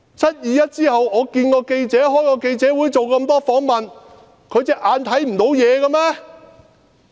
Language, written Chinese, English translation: Cantonese, "七二一"後我會見記者，開記者會，做了很多訪問，他看不見嗎？, After the 21 July incident I met with reporters held a press conference and accepted many interviews; couldnt he see what I had done? . My role was very clear